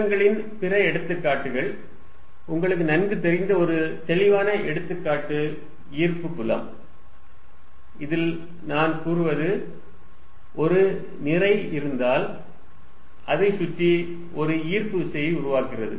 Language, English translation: Tamil, Other examples of fields, a very obvious example that you are familiar with is gravitational field, in which I can say that, if there is a mass, it creates a gravitational field around it